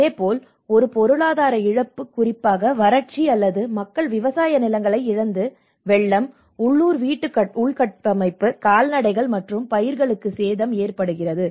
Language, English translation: Tamil, And similarly an economic loss especially with drought or the flood impacts where people have lost their agricultural fields, damage to local housing infrastructure, livestock and crops